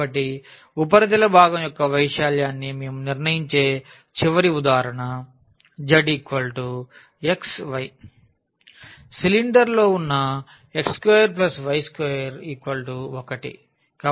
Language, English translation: Telugu, So, the last example where we will determine the surface area of the part z is equal to xy that lies in the cylinder x square plus y square is equal to 1